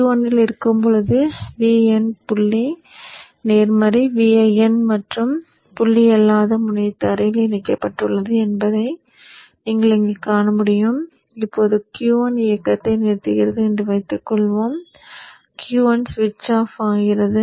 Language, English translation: Tamil, So you see here when Q1 is on this is V in dot is positive V in and the non dart end is connected to the ground now assume Q1 now switches off the moment Q1 switches off there is a reversal ofity